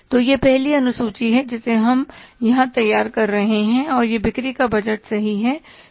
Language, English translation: Hindi, Sorry, this is the first schedule we are preparing here and this is the sales budget